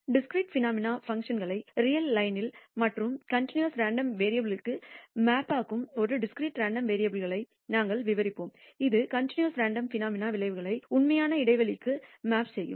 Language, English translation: Tamil, We will describe discrete random variables that maps functions of discrete phenom ena to the real line and continuous random variable which maps outcomes of a continuous random phenomena to intervals in the real life